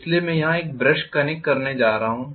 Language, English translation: Hindi, So I am going to connect one brush here